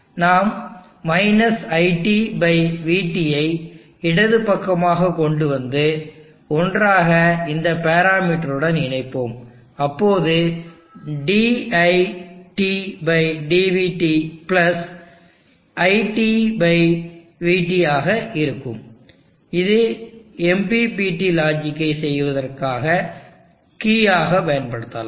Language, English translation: Tamil, We shall bring – IT/VT to the left side and together we will have this parameter, dit/dvt + IT/VT, this can be used as the key for doing the MPPT logic